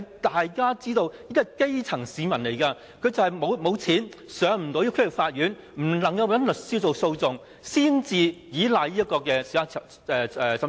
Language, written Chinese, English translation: Cantonese, 大家都知道，基層市民沒有錢，不能找律師上區域法院進行訴訟，只能依賴審裁處。, As we all know the grass roots cannot afford to hire a lawyer to institute litigations in the District Court and they can only rely on SCT to claim the money